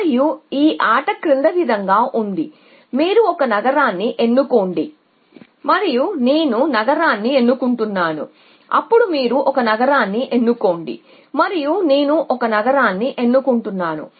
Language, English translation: Telugu, And the game is the following they give choose a city and I choose city then you choose a city and I choose a city and so on